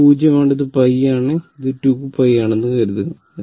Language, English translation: Malayalam, Suppose, this is 0, this is pi and this this is 2 pi